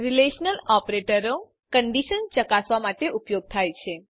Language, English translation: Gujarati, Relational operators are used to check for conditions